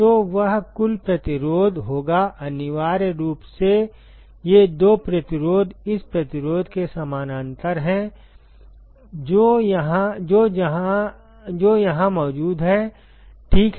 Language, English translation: Hindi, So, that will be the total resistance essentially these two resistances are in parallel with this resistance, which is present here ok